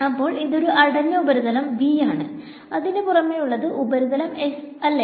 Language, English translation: Malayalam, So, this is a closed surface V and outside the closed surface is S